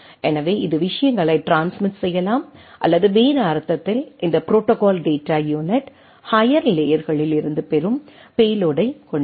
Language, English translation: Tamil, So it can transmit the things or in other sense, this that protocol data unit will contain the payload what it gets from the higher layers right